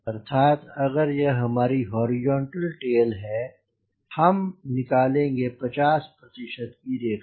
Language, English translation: Hindi, that is the meaning is, if this is my horizontal tail, we will find to the fifty percent line